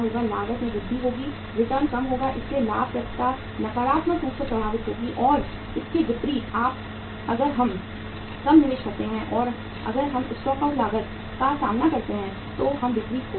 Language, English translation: Hindi, Cost will increase, returns will go down so profitability will be negatively impacted and contrary to this if we make lesser investment and if we face the stock out cost we will be losing the sales